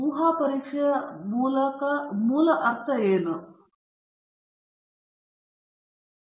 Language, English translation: Kannada, What do you mean by hypothesis testing